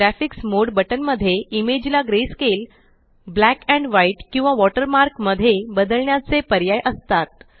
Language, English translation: Marathi, The Graphics mode button has options to change the image into grayscale, black and white or as a watermark